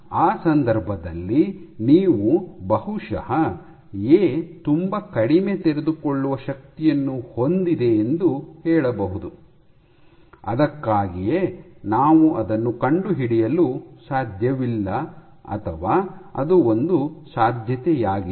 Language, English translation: Kannada, So, in that case you can as in you can say that probably A has very low unfolding forces, that is why we cannot detect it or, that is one possibility